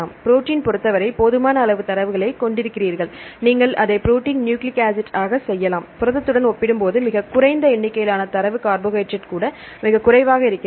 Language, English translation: Tamil, For protein protein we have sufficient number of data you can do it protein nucleic acid, compared to protein protein a very less number of data, carbohydrate even really very less